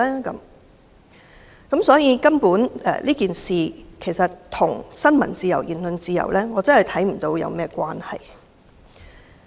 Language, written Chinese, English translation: Cantonese, 因此，我看不到這事件與新聞自由和言論自由有何關係。, Hence I do not see this incident is related to freedom of the press and freedom of speech